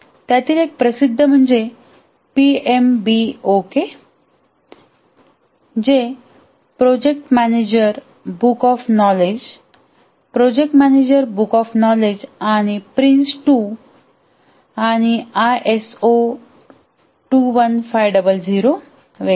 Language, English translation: Marathi, And here the popular ones are PMBOK, that is project manager book of knowledge, project management book of knowledge, and Prince 2, and ISO 21,500, and so on